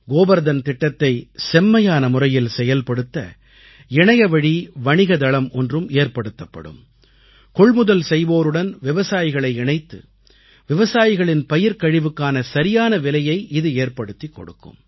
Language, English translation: Tamil, An online trading platform will be created for better implementation of 'Gobar Dhan Yojana', it will connect farmers to buyers so that farmers can get the right price for dung and agricultural waste